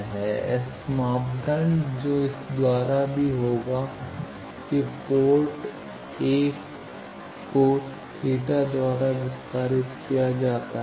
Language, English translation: Hindi, S parameter that will be even by this that port 1 is extended by let us say or theta